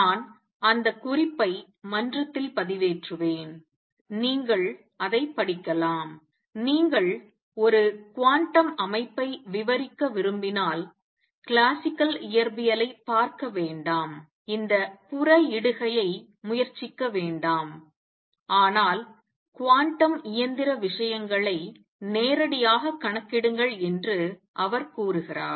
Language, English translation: Tamil, I will give that reference I will upload it on the forum and you can read it, he says that if you want to describe a quantum system do not refer to classical physics, do not try to this extra pollution all that, but calculate quantum mechanical things directly